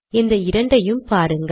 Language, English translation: Tamil, See these two